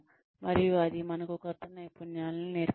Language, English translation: Telugu, And, that results in us, learning new skills